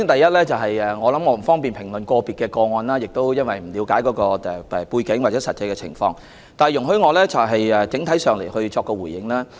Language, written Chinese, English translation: Cantonese, 首先，我不方便評論個別個案，我亦不了解相關背景或實際情況，請容許我就此作出整體回應。, First of all I am not in a position to comment on individual cases and I do not have a grasp of the relevant background or actual situation . Please allow me to give an overall response